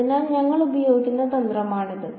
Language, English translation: Malayalam, So, that is the strategy that we will use